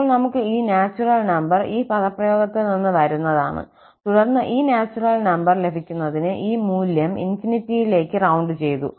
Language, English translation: Malayalam, So, we have this natural number N just coming from this expression and then having this rounded towards infinity to get this natural number